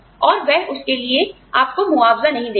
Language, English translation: Hindi, And, they will not compensate you, for it